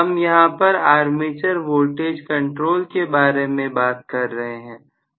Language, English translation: Hindi, I am talking here about armature voltage control